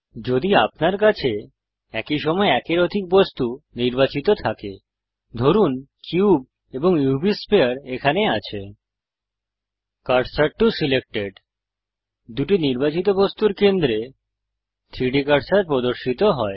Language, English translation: Bengali, In case you have more than 1 object selected at the same time, say the cube and the UV sphere here, Cursor to selected snaps the 3D cursor at the centre of the two objects selected